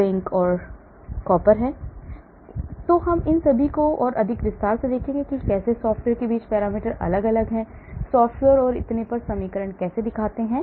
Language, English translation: Hindi, so we will look at all these more in detail how the parameters vary between software, how the equations look like between software and so on actually,